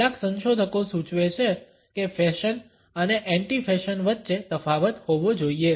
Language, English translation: Gujarati, Some researchers suggest that a distinction has to be drawn between fashion and anti fashion